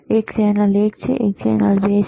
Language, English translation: Gujarati, One is channel one, one is channel 2